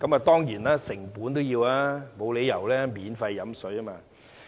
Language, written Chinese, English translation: Cantonese, 當然，這是要成本的，沒有理由可以免費喝水。, Our water surely involves some costs . There is no free lunch